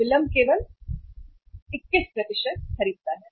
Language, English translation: Hindi, Delay purchases only 21%